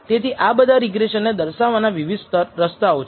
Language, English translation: Gujarati, So, there was quite a lot to regression